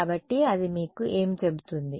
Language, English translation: Telugu, So, what does that tell you